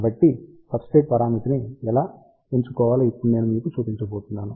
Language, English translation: Telugu, So, I am going to now show you how to properly choose substrate parameter